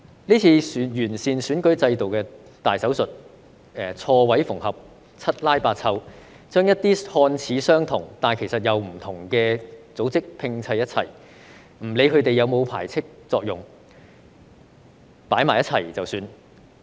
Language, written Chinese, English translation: Cantonese, 這次完善選舉制度的"大手術"，錯位縫合，七拉八湊，將一些看似相同，但其實並不相同的組織拼湊一起，不理他們是否有排斥作用，放在一起便算。, In this major operation to improve the electoral system stitches are sutured incorrectly in a sloppy manner cobbling together some seemingly similar but actually different organizations without considering the possible exclusionary effect